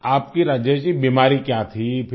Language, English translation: Hindi, What was your disease Rajesh ji